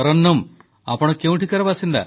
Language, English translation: Odia, Tarannum, where are you from